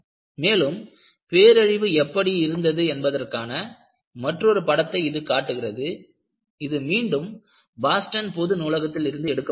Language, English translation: Tamil, And, this shows another picture of how the devastation was and this is again, the courtesy goes to Boston public library